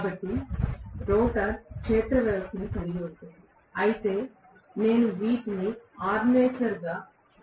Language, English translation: Telugu, So, the rotor will house the field system, whereas I am going to have these as the armature